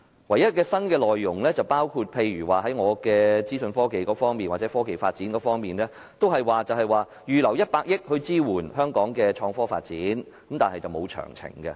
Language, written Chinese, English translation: Cantonese, 唯一的新內容是在我所屬的資訊科技界或科技發展方面，預留100億元支援香港的創科發展，但卻沒有提供詳情。, The only new content is related to the information technology IT sector to which I belong or technological development . A sum of 10 billion is reserved for supporting innovation and technology IT development in Hong Kong but details are not provided